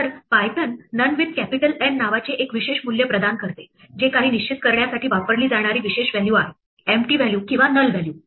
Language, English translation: Marathi, So, Python provides us with a special value called None with the capital N, which is the special value used to define nothing an empty value or a null value